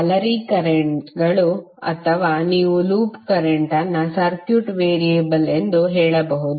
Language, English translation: Kannada, Mesh currents or you can say loop current as a circuit variable